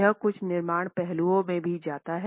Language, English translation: Hindi, It also goes into some construction aspects